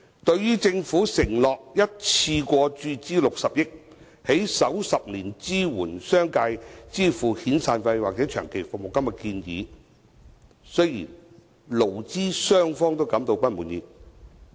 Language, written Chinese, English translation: Cantonese, 對於政府承諾一次過注資60億元，在首10年支援商界支付遣散費或長期服務金的建議，勞資雙方均感到不滿意。, Both employers and employees are dissatisfied with the Governments proposed undertaking to provide a one - off injection of 6 billion to assist the business sector during the first 10 years in making the severance payments or long service payments